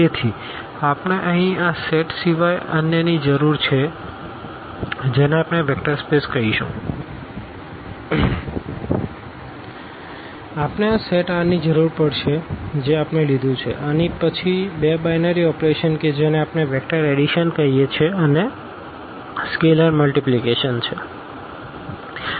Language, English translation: Gujarati, So, we need other than this set here we which we will call vector space we need this set R which we have taken and then two binary operations which we call this vector addition and this is scalar multiplication